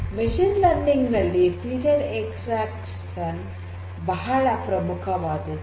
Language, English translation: Kannada, So, in machine learning feature extraction is very important